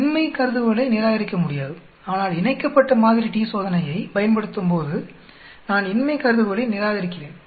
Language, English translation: Tamil, The null hypothesis cannot be rejected, whereas when I use the paired t Test, I am rejecting the null hypothesis